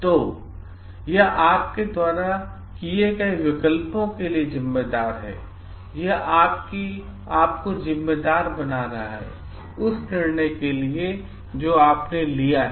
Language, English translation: Hindi, So, it is responsible for the choices that you make, it is the taking the owners on yourself for the decision that you have taken